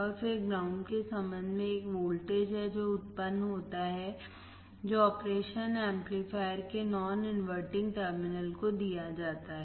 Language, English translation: Hindi, And then with respect to ground this is a voltage that is generated that is fed to the non inverting terminal of the operation amplifier